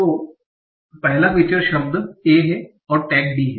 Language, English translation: Hindi, So first feature is here, word is, and tag is D